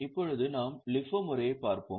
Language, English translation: Tamil, Now, we'll just have a look at the LIFO method